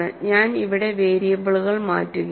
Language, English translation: Malayalam, So, I am changing variables here